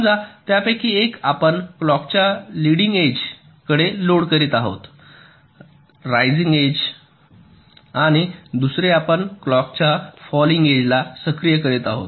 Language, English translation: Marathi, let say one of them we are loading by the leading edge of the clock, raising age, and the other we are activity of by falling edge of the clock